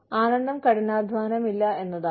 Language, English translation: Malayalam, Pleasure is no hard work